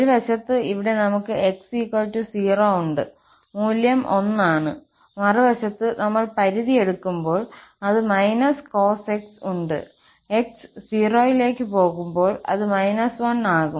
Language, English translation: Malayalam, At one side, here we have at x equal to 0, the value is 1and on the other side, when we take the limit, it is minus cos x where x is going towards 0, so it is minus 1